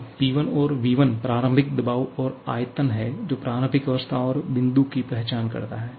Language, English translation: Hindi, So, P1 and V1 is the initial pressure and volume or which actually identifies the initial state point